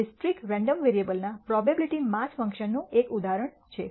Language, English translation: Gujarati, That is an example of a probability mass function of a discrete random variable